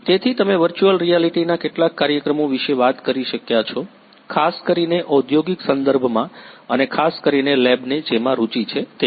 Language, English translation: Gujarati, So, could you talk about some of the applications of virtual reality particularly in the industrial context and more specifically something that the lab is interested in